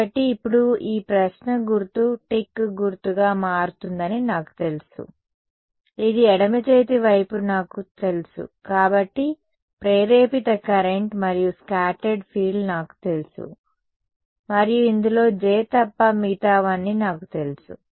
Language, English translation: Telugu, So, now I know this question mark becomes a tick mark, I know this the left hand side I know the induced current and the scattered field therefore, and I know everything in this except J